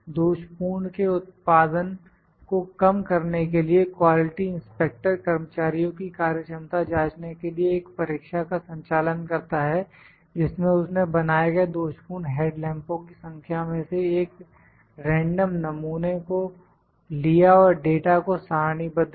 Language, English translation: Hindi, To minimize the production of defective the quality inspector conducts a test to check the efficiency of the workers in which he note down the number of defective headlamps produced, by taking a random sample and tabulate the data